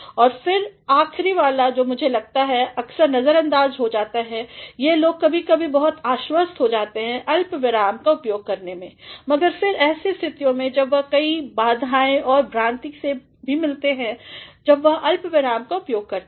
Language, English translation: Hindi, And, then the last one which I think is often being ignored or people at times become very confident of making use of a comma, but then there are situations when they also come across several difficulties and confusions while they are making use of a comma